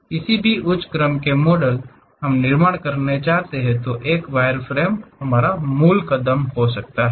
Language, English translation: Hindi, Any higher order models we would like to construct, wireframe is the basic step